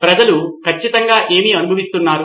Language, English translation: Telugu, What exactly are people going through